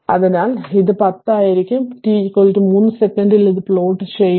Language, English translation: Malayalam, So, it will be 10 and at t is equal to 3 second it is plotted